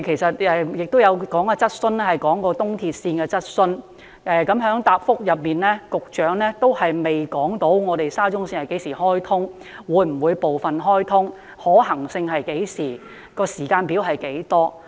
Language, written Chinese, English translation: Cantonese, 今早我們也提出了一項關於東鐵線的質詢，局長的答覆仍然未能回答沙中線何時能夠開通、會否部分開通、可行性是何時、時間表為何？, We also put a question on the East Rail Line this morning . The Secretary is unable to tell in his reply the commissioning time of SCL whether it will be commissioned partially what the possible time is and whether there is any timetable